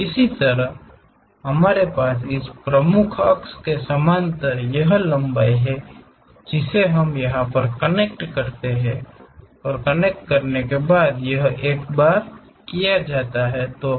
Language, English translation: Hindi, Similarly, we have this length parallel to this principal axis we connect it, this one and this one once that is done